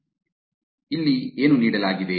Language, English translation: Kannada, So, what is given